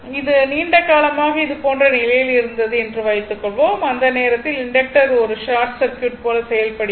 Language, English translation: Tamil, So, this switch was open for a long time means, that inductor is behaving like a short circuit right